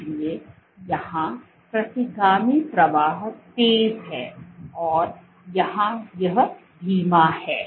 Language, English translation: Hindi, So, here retrograde flow is fast here it is slow